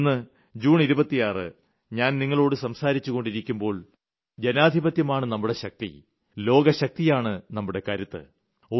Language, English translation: Malayalam, But today, as I talk to you all on 26th June, we should not forget that our strength lies in our democracy